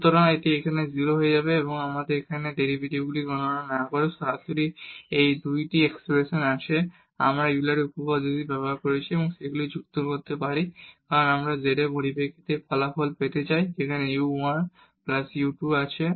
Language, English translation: Bengali, So, this will become 0 there and now we have these 2 expressions directly without computing these derivatives here, we have used this Euler’s theorem and we can add them because we want to get this result in terms of z there is u 1 plus u 2